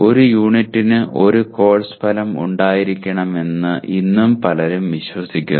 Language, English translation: Malayalam, Many people even today believe that you have to have one course outcome for one unit